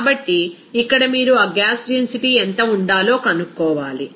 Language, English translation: Telugu, So, here you have to find out what should be the density of that gas